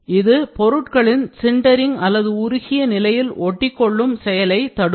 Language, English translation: Tamil, They hinder the particles sintering or melt amalgamation